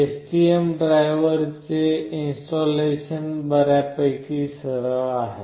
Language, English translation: Marathi, Installation of the STM driver is fairly straightforward